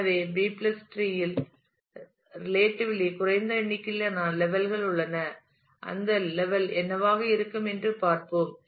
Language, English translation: Tamil, So, B + tree contains relatively small number of levels, we will see what that level would be